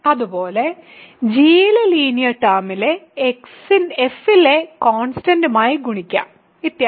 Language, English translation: Malayalam, Similarly, I can multiply the constant term of f with linear term of g, so and so on